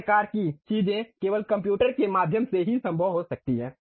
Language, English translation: Hindi, These kind of things can be possible only through computers